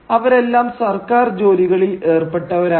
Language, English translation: Malayalam, Well, they were engaged in government employments